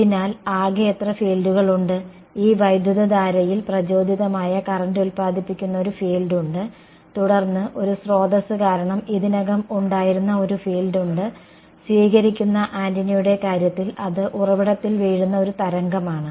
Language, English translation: Malayalam, So, how many total fields are there, there is the field that is produce by this current by the induced current and then there is a field that was already present due to a source in the case of a receiving antenna it is a wave that is falling on the source